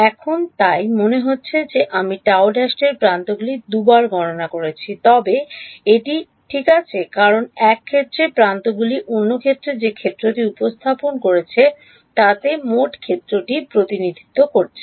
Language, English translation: Bengali, Now so, it seems that I have counted the gamma prime edges 2 times, but that is all right because in one case the edges are representing the total field in the other case they are presenting the